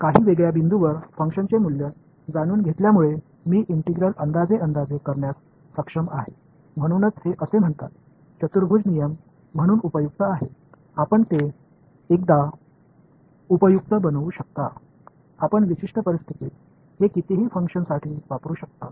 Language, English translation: Marathi, Knowing the value of the function at a few discrete points I am able to approximate the integral, that is why this so, called quadrature rule is so, useful you make it once, you can use it for any number of functions under certain conditions